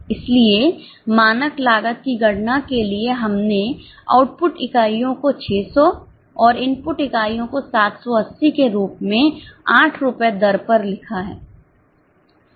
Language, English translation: Hindi, So, for calculating the standard cost, we have written output units as 600 and input units as 780 at 8 rupees